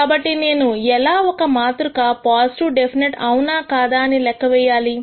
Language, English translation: Telugu, So, how do I check if a matrix that I compute is positive definite or not